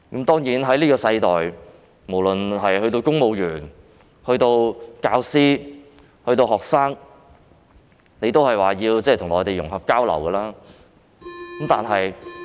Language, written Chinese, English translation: Cantonese, 當然，在現今世代，無論是公務員、教師或學生都必須與內地融合交流。, Of course nowadays it is important for civil servants teachers and students to integrate and exchange with the Mainland